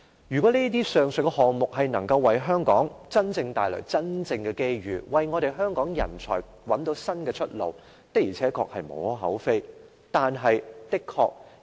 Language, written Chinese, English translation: Cantonese, 如果上述項目能夠為香港帶來真正的機遇，為香港人才找到新出路，的確是無可厚非的。, There is nothing wrong if the above projects can really bring us opportunities and find a new way out for the people of Hong Kong